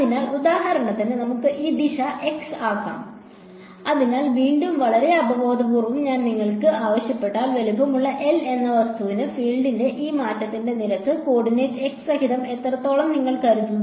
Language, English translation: Malayalam, So, let us for example, let us take this direction to be x, so again very intuitively if I asked you that for an object of size L how much do you think that this rate of change of the field, along that coordinate x